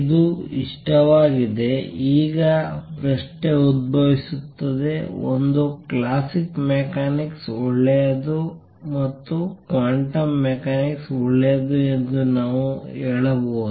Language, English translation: Kannada, It likes is now the question arises question is there a n critical beyond which we can say that classical mechanics is good and below which quantum mechanics is good